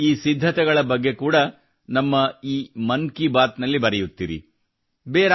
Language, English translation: Kannada, My dear countrymen, that's allthis time in 'Mann Ki Baat'